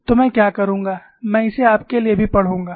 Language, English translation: Hindi, So, what I would do is, I would also read it for you